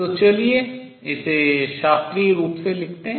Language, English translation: Hindi, So, let us write this classically